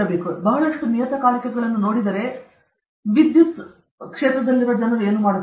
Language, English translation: Kannada, If you look at lot of journals what are the electrical people doing